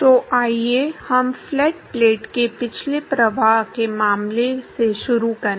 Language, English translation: Hindi, So, let us start with a case of a flow past flat plate